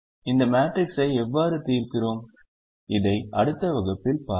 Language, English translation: Tamil, how we solve this matrix, we will see this in the next last class